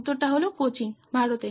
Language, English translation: Bengali, The answer is Cochin, India